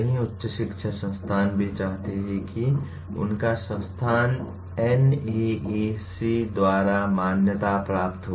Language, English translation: Hindi, Many of the higher education institutions also want to have their institution accredited by NAAC